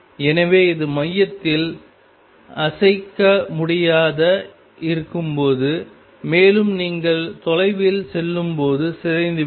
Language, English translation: Tamil, So, it is going to be nonzero at the center and will decay as you go far away